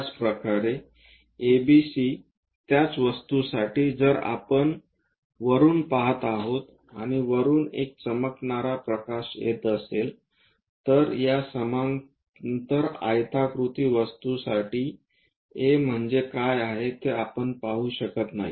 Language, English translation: Marathi, Similarly, for the same object A, B, C, if we are going to view it from top or a shining light is coming from top, we cannot see what is A, what is B for this parallelepiped rectangular thing